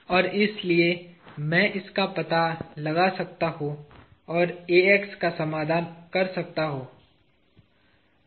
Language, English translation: Hindi, And therefore, I can find this out and I can solve for Ax